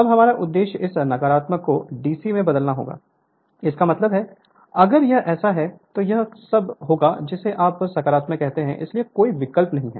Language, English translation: Hindi, Now our objective will be to convert this negative to DC; that means, if it if you doing like this, so all will be your what you call positive, so no question of alternating